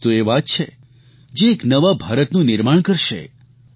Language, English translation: Gujarati, It is the factoring in of this outreach that will create a new India